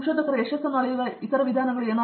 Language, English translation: Kannada, How other ways in which you measure success in research